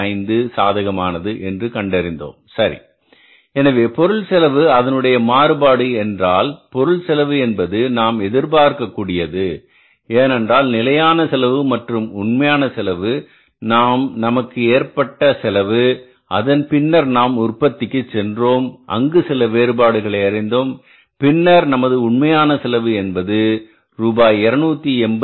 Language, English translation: Tamil, So, material cost, this variance means the material cost which was expected to be there, the standard cost and the actual cost which we have actually incurred after going for the production there is a difference and we have found that the actual cost has come down by 286